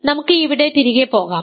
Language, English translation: Malayalam, So, let us go back here